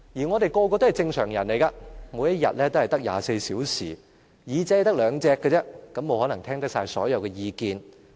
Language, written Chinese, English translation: Cantonese, 我們人人都是正常人，每天只有24小時，只有兩隻耳朵，沒可能聽到所有意見。, All of us have only 24 hours a day . Each of us has two ears only . It is therefore impossible for us to listen to all opinions